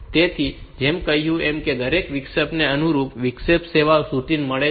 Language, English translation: Gujarati, So, as I said that every interrupt has got a corresponding interrupt service routine